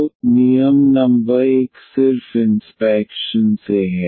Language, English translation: Hindi, So, the rule number 1 is just by inspection